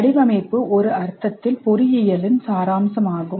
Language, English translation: Tamil, Design in a major sense is the essence of engineering